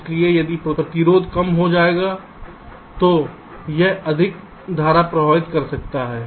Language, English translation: Hindi, so if resistances becomes less, it can drive more current